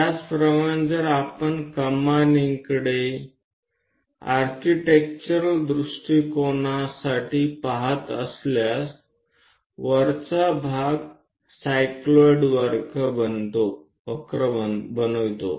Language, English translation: Marathi, Similarly, if we are looking at arches, for architectural point of view, the top portions make cycloid curves